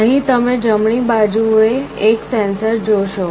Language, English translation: Gujarati, Here you see a sensor on the right side